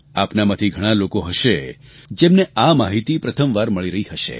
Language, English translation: Gujarati, Many of you may be getting to know this for the first time